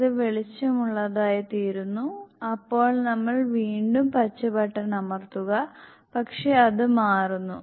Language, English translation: Malayalam, This becomes lighter then we press the green button again, but it changes